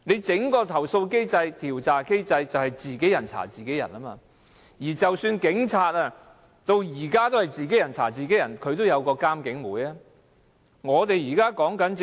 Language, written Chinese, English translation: Cantonese, 整個投訴機制、調查機制都是自己人查自己人，警方至今仍是如此，但起碼也設有監警會。, The entire complaint mechanism is based on officers investigating their own peers . This system is still applicable to the Police but at least there is IPCC